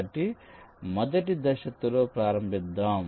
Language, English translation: Telugu, so let us start with the phase one